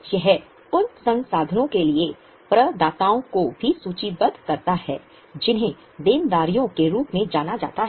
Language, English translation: Hindi, It also lists out the providers for resources which are known as the liabilities